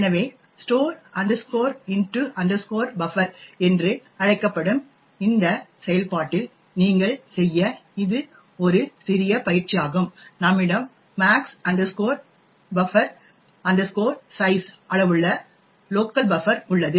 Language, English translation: Tamil, So, this is a small exercise for you to do so in this function called store into buffer we have a local buffer of size max buf size